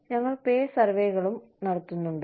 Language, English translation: Malayalam, We also have pay surveys